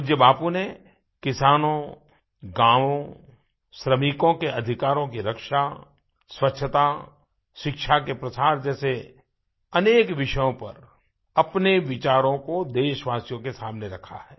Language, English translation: Hindi, Revered Bapu, put forth his ideas on various subjects like Farmers, villages, securing of labour rights, cleanliness and promoting of education